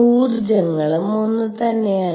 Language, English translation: Malayalam, And the energies are the same